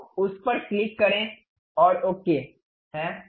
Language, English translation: Hindi, So, click that and ok